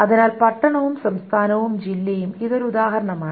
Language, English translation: Malayalam, So town state and district, this is an example